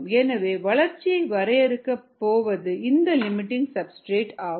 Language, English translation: Tamil, the one that is going to limit growth is going to be your limiting substrate